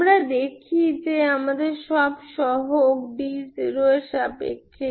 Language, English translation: Bengali, So I found all sum coefficients in terms of d naught